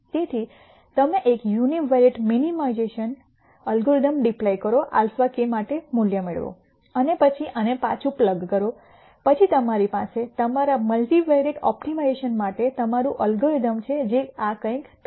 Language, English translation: Gujarati, So, you deploy a univariate minimization algorithm nd a value for alpha k and then plug this back in then you have your algorithm for your multivariate optimization which will go something like this